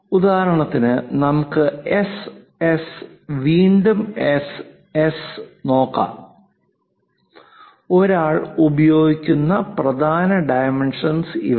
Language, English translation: Malayalam, For example, let us look at S, S again S, S so; these are the main dimensions one uses